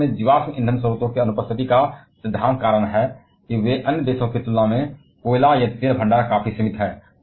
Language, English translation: Hindi, The principle reason being the absence of fossil fuels sources in France like they are coal or oil reservoir quite limited compared to other countries